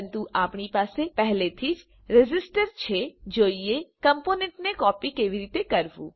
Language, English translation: Gujarati, But since we already have a resistor, let us see how to copy a component